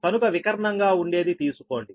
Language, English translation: Telugu, so take the diagonal one